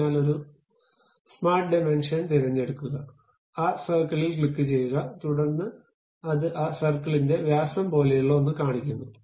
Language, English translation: Malayalam, So, pick smart dimension, click that circle, then it shows something like diameter of that circle